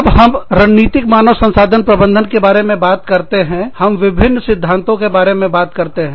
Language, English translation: Hindi, So, when we talk about, strategic human resources management, we talk about, various theories